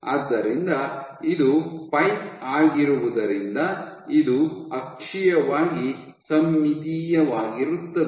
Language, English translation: Kannada, So, because it is the pipe it is axial axially symmetric